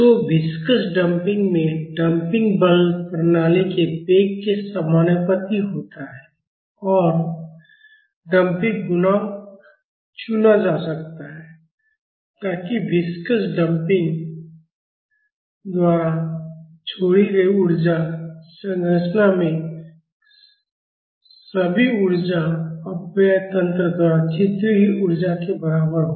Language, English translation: Hindi, So, in viscous damping, the damping force is proportional to the velocity of the system and the damping coefficient can be chosen, so that the energy dissipated by the viscous damper is equal to the energy dissipated by all energy dissipation mechanism in the structure